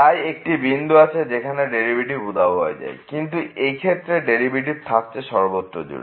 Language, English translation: Bengali, So, there is a point where the derivative vanishes whereas, in this case the derivative does not vanish at any point in the interval